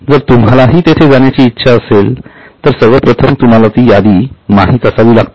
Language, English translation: Marathi, So, if you aspire to go there, first of all, you should know the list